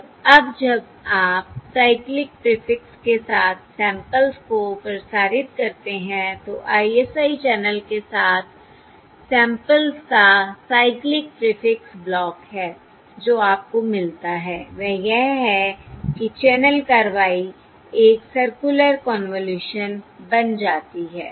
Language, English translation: Hindi, And now when you transmit the samples with the cyclic prefix, that is, a cyclic prefix block of samples across this ISI channel, what you get is that the channel action becomes a circular convolution